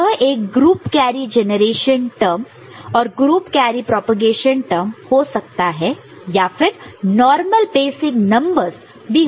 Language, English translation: Hindi, So, this could be group carry group carry generation term and group carry propagation term as well or normal basic numbers, ok